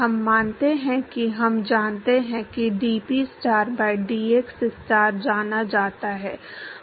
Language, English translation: Hindi, We assume that we know dPstar by dxstar is known